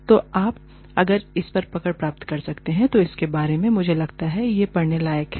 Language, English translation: Hindi, So, if you can get a hold of it, I think, it is worth a read